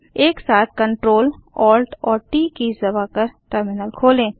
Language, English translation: Hindi, Open a terminal by pressing the Ctrl, Alt and T keys simultaneously